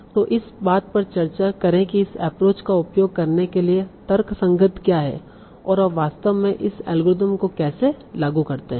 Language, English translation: Hindi, So let me try to spend some time in discussing what is the rationale for using this approach and how do you actually apply this algorithm